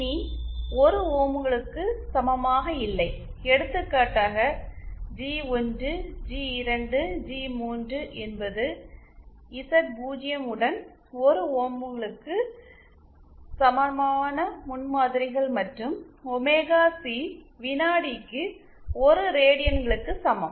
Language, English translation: Tamil, So, the transformation, for example G1, G2, G3 are the prototypes with Z0 equal to 1 ohms and omega C equals to 1 radians per second